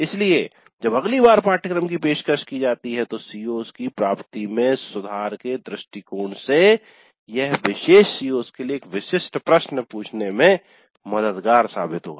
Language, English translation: Hindi, So from the perspective of improving the attainment of COs next time the course is offered it would be helpful to ask questions specific to particular COs